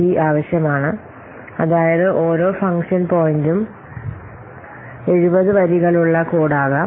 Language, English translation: Malayalam, That means per function point there can be 70 lines of code